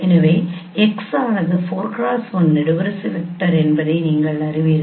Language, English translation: Tamil, So you know that x is a 4 cross 1 column vector